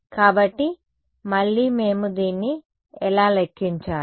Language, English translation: Telugu, So, again, how do we calculate this